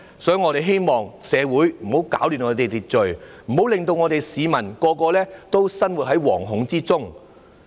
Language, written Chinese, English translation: Cantonese, 所以，我們希望不要攪亂社會秩序，不要令市民人人生活在惶恐之中。, For this reason I hope they will not disrupt social order and make all members of the public live in fear